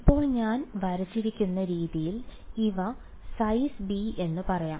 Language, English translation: Malayalam, Now this the way I have drawn these are square boxes of let us say size b